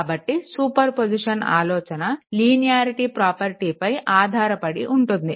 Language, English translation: Telugu, So, idea of superposition rests on the linearity property right